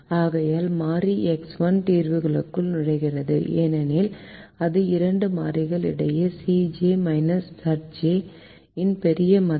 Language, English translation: Tamil, therefore the variable x one will enter, will enter the solution because it has the larger value of c j minus z j between the two variable